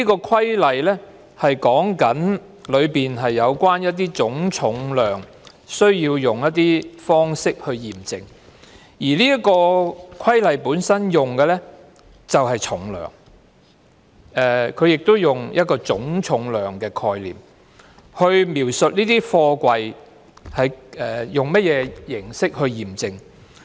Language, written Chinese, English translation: Cantonese, 《規例》第 3A 條，是有關總重量需要用一些方式去驗證，而《規例》本身用的是"重量"，它亦用一個總重量的概念來描述這些貨櫃用甚麼形式驗證。, Section 3A of the Regulation Cap . 369AV concerns the methods adopted for verifying the gross weight; and the Regulation uses the term weight and it uses the concept of gross weight to describe the verifying methods used for containers